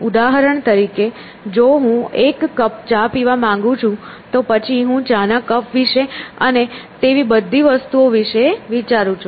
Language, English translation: Gujarati, So, for example, if I want to drink a cup of tea, then I am thinking at a level about cup of tea and so on and so forth